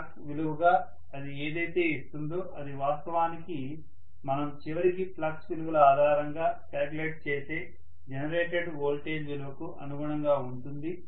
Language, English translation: Telugu, Whatever it would give as the flux value will almost be you know in line with what actually we are calculating finally as the generated voltage and so on based on those flux values